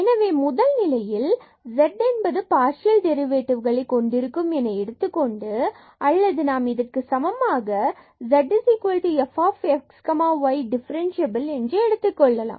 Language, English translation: Tamil, So, let us take the first case lets z posses continuous partial derivatives or we can also take this assumption that this z is equal to f x y is differentiable